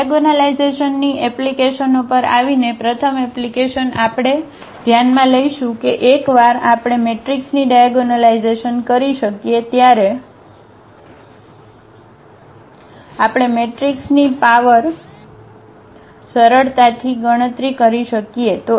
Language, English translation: Gujarati, Now, coming to the applications of the diagonalization, the first application we will consider that we can easily compute the power of the matrices once we can diagonalize the matrix